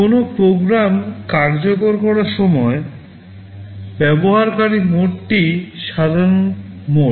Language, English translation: Bengali, When a program is executed normally, we say that the system is in user mode